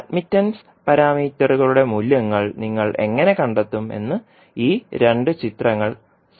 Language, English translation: Malayalam, So, these two figures will summarize, how you will find out the values of the admittance parameters